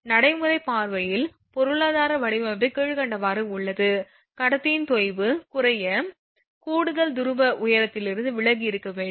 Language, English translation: Tamil, From the practical point of view economic design dictates the following one is sag of conductor should be minimum to refrain from extra pole height